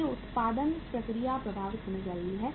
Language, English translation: Hindi, So the production process is getting affected